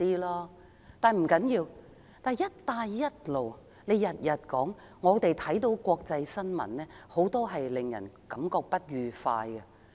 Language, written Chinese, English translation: Cantonese, 梁振英整天提到"一帶一路"，但我們看到國際新聞，很多國家對"一帶一路"感覺不快。, LEUNG Chun - ying talks about the Belt and Road Initiative all day long . But when we read the international news many countries are quite upset about the Belt and Road Initiative